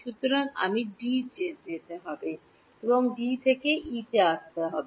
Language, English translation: Bengali, So, I have to go to D and from D, come to E